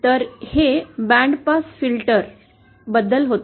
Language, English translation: Marathi, So this was something about our band pass filter